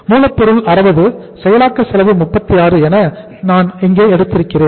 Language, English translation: Tamil, I have taken the raw material is 60, processing cost is uh processing cost is 36